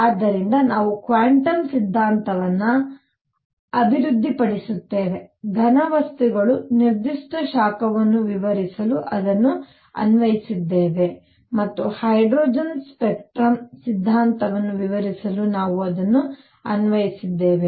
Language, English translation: Kannada, So, we develop quantum theory applied it to explain specific heat of solids and now applied it to explain the hydrogen spectrum theory must be right alright